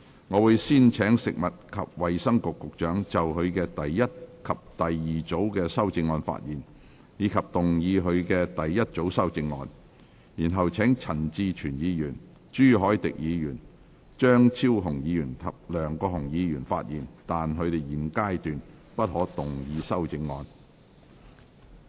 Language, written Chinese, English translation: Cantonese, 我會先請食物及衞生局局長就他的第一組及第二組修正案發言，以及動議他的第一組修正案，然後請陳志全議員、朱凱廸議員、張超雄議員及梁國雄議員發言，但他們在現階段不可動議修正案。, I will first call upon the Secretary for Food and Health to speak on his first and second groups of amendments and move his first group of amendments . Then I will call upon Mr CHAN Chi - chuen Mr CHU Hoi - dick Dr Fernando CHEUNG and Mr LEUNG Kwok - hung to speak but they may not move their amendments at this stage